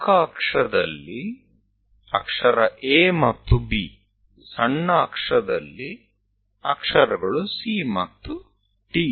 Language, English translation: Kannada, On major axis, the letter is A and B; on minor axis, the letters are C and D